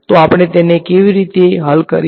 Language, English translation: Gujarati, So, how do we solve it